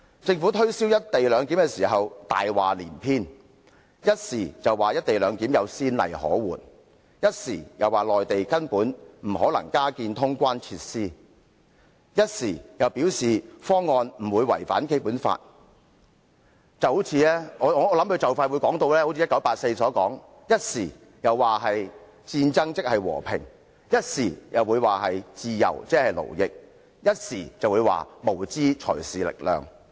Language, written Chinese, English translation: Cantonese, 政府推銷"一地兩檢"時，謊話連篇，一方面說"一地兩檢"有先例可援，另一方面又說內地根本不可能加建通關設施，但又表示方案不會違反《基本法》，我相信政府或許會如《1984》般，一會說戰爭即和平，一會又說自由即勞役，又或會說無知才是力量。, It lied a lot in promoting the co - location arrangement for example . It tells us that there are precedents of co - location arrangement but on the other hand it says it is impossible for the Mainland to introduce additional clearance facilities and the current proposal of co - location arrangement will not contravene the Basic Law . And so it is likely that the Government will I believe say something like war is peace at one occasion while saying freedom is slavery and ignorance is strength at other occasions as quoted from George Orwells 1984